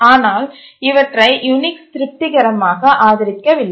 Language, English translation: Tamil, And the result is that Unix code became incompatible